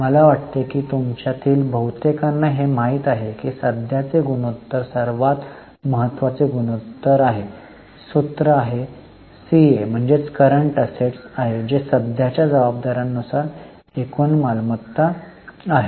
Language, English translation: Marathi, I think most of you know current ratio is the most important ratio and the formula is CA, that is total current assets upon current liabilities